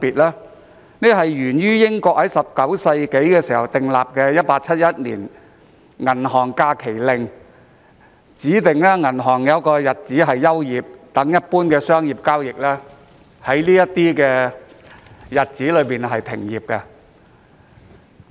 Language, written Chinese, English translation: Cantonese, 因為英國在19世紀訂立《1871年銀行假期法令》，指定銀行在某些日子休業，一般商業交易在這些日子暫停進行。, The United Kingdom enacted the Bank Holidays Act 1871 in the 19th century and designated some bank holidays during which general commercial transactions were suspended